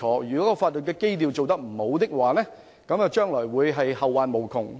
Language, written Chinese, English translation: Cantonese, 如法律基礎打得不好，將會後患無窮。, If the legal foundation is not properly laid there will be dire consequences